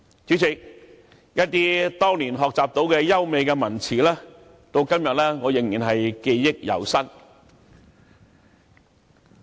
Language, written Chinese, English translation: Cantonese, 主席，我當年學習到的一些優美文辭，到今天仍然記憶猶新。, President today I can still remember the beautiful lines which I learned back then